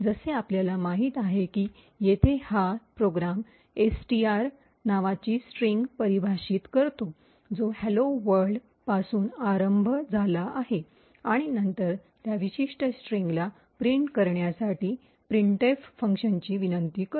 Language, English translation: Marathi, So, as we know this program over here defines a string called which is initialised to hello world, and then invokes the printf function to print that particular string